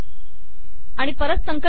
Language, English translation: Marathi, Lets compile this